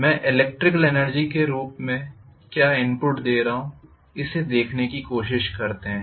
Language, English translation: Hindi, What I am giving as the electrical energy input let me try to see